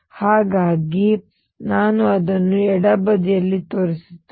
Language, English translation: Kannada, So, let me show it on the left hand side